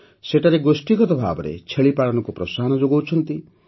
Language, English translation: Odia, They are promoting goat rearing at the community level